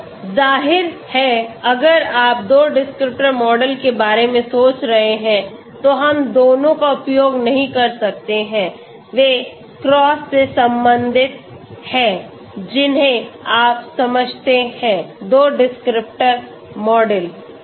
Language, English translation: Hindi, So obviously if you are thinking of two descriptor model, we cannot use both, they are cross correlated you understand, two descriptor model